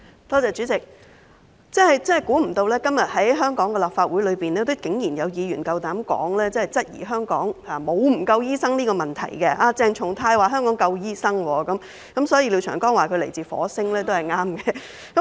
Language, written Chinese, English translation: Cantonese, 代理主席，我真的沒想到在今時今日的立法會裏，竟然還有議員夠膽質疑香港是否有醫生不足的問題，鄭松泰議員剛才說香港有足夠醫生，所以廖長江議員說他來自火星，說得真對。, Deputy President I really find it unimaginable that nowadays in the Legislative Council a Member would blatantly question whether Hong Kong suffers from a shortage of doctors . Just now Dr CHENG Chung - tai said there are sufficient doctors in Hong Kong . That is why Mr Martin LIAO said he came from Mars